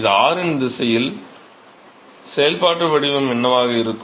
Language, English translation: Tamil, This is r direction yeah what will be the functional form